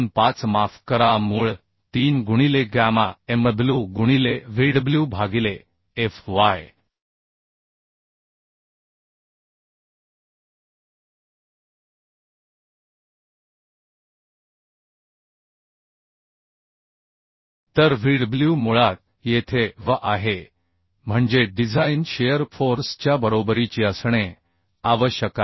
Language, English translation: Marathi, 25 sorry root 3 into gamma mw into Vdw by fy into te So Vdw is basically V here means design strength has to be equal to the shear force So we can find out root 3 into 1